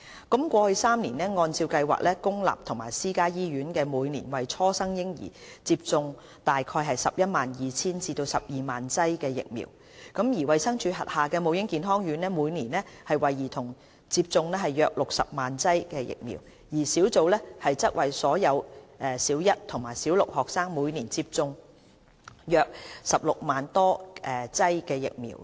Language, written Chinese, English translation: Cantonese, 過去3年，按照計劃，公立及私家醫院每年為初生嬰兒接種約 112,000 至 120,000 劑疫苗；衞生署轄下母嬰健康院每年為兒童接種約60萬劑疫苗，而小組則為所有小一及小六學生每年接種約16萬多劑疫苗。, In each of the past three years about 112 000 to 120 000 doses of vaccine were given to newborn babies by public and private hospitals; about 600 000 doses to children by DHs MCHCs; and about 160 000 doses to all Primary One and Six school children by SIT under HKCIP